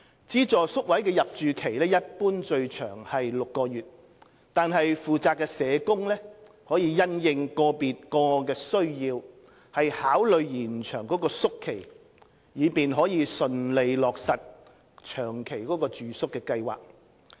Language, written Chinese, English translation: Cantonese, 資助宿位的入住期一般最長為6個月，惟負責社工可因應個別個案的需要考慮延長宿期，以便順利落實長期住宿計劃。, The maximum duration of stay at subvented places is normally six months . However the responsible social workers may consider extending the stay having regard to the needs of individual cases so as to facilitate the implementation of long - term accommodation plans